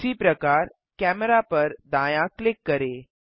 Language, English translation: Hindi, Similary, Right click the Camera